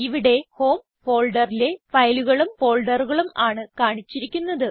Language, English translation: Malayalam, Here it is displaying files and folders from the Home folder